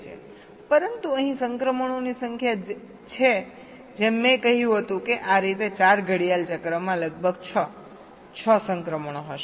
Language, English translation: Gujarati, but here the number of transitions are, as i said, will be about six, six transitions in four clock side, like this